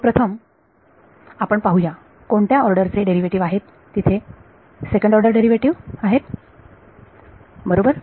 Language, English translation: Marathi, So, first of all let us see what order of derivative is there second order derivative right